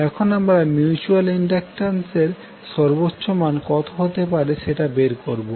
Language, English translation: Bengali, Now let us try to stabilize the upper limit for the mutual inductance